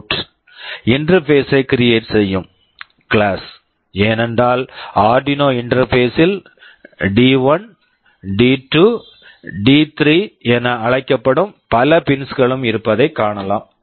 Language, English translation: Tamil, This is the class which will be creating a PwmOut interface connected with a specified pin, because on the Arduino interface will be seeing there are many pins which are called D1, D2, D3, etc